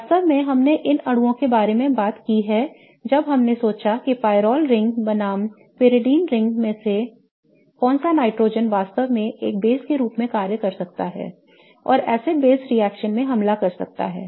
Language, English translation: Hindi, In fact we have talked about these molecules when we have thought about which nitrogen in the case of pyrole ring versus peridine ring can really function as a base and attack in an acid base reaction